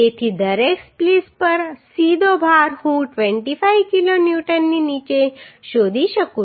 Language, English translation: Gujarati, So direct load on each splice I can find out as under 25 kilo Newton